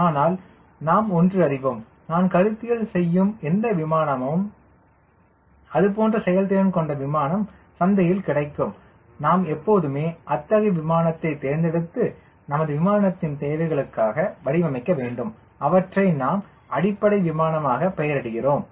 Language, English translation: Tamil, but we know one thing: whatever airplane and conceptualizing, a similar aircraft of that performance will be available in the market and we always select such an aircraft whose mission requirements are closer to what we are going to design and we nomenclature them as baseline aircraft